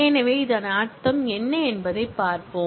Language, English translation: Tamil, So, let us see what it specifically means